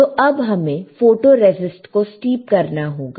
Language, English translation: Hindi, So, we have to steep the photoresist, all right